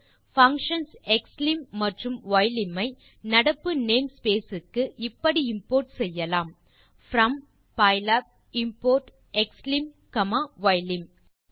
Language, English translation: Tamil, Functions xlim() and ylim() can be imported to the current name space as, from pylab import xlim comma ylim